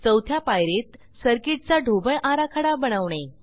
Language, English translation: Marathi, And fourth step is to create board layout for the circuit